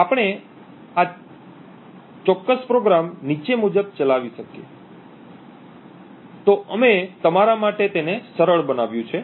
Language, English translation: Gujarati, So we could run this particular program as follows, so we have simplified it for you